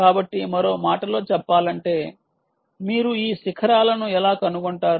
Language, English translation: Telugu, so, in other words, peak, how do you detect these peaks